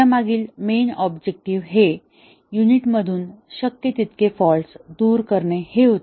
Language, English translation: Marathi, And, the main objective there was to remove the faults as much as possible from a unit